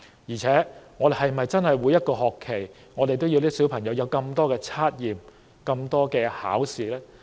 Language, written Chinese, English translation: Cantonese, 況且，我們是否真的要孩子每個學期都接受這麼多測驗和考試？, Moreover do we really want our children to have so many tests and examinations in every school term?